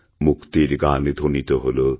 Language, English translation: Bengali, The freedom song resonates